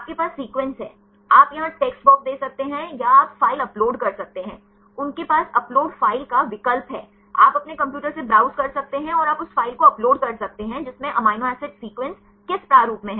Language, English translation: Hindi, You have the sequences; you can give the text box here or you can upload file, they have the upload file option; you can browse from your computer and you can upload the file which contains amino acid sequences in which format